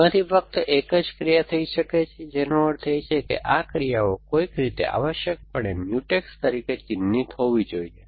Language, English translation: Gujarati, That only one of those actions can happen which means that these actions must be mark as Mutex somehow essentially